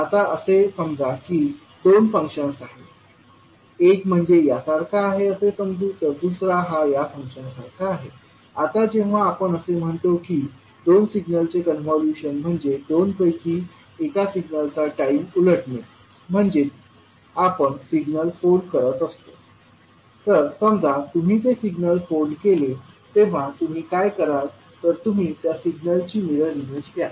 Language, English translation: Marathi, Let us say that there are two functions, one is let us say is function like this and second is function like this, now when we say the convolution of two signals means time reversing of one of the signal means you are folding that signal so when you, suppose if you fold that signal, what you will do, you will take the mirror image of that signal